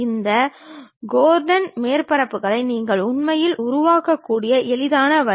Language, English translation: Tamil, Then the easiest way what you can really construct is this Gordon surfaces